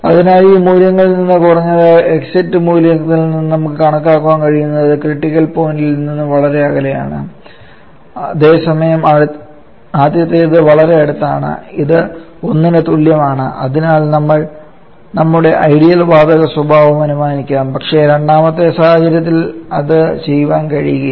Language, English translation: Malayalam, So and as we can estimate from these values at least from exit value it is for away from the critical point where is the first one is quite close this is equal to 1 we can almost assume the ideal gas behaviour but definitely we can do for the second situation